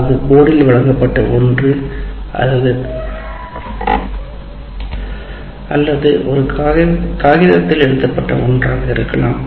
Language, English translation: Tamil, That is something is presented on the board or something is written on a piece of paper